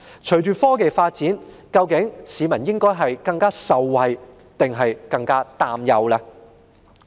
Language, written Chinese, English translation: Cantonese, 隨着科技發展，市民會更受惠還是更擔憂？, Following technological advancements will the people benefit or worry more?